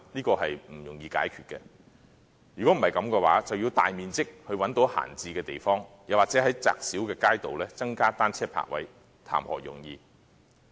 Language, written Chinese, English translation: Cantonese, 這是不容易解決的，否則便要找到大面積的閒置地方，或在窄小的街道上增加單車泊位，談何容易？, It is not at all easy to identify a large vacant land lot or provide additional bicycle parking spaces on narrow streets is it?